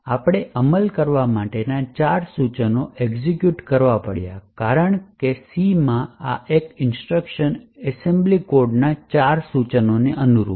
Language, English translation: Gujarati, So, we had to specify four instructions to be executed because this single statement in C corresponds to four instructions in the assembly code